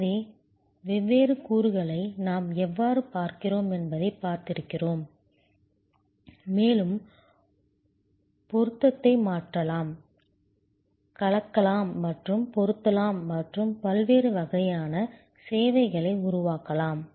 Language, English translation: Tamil, So, we see, how we look at the different elements and we can change match, mix and match and create different kinds of services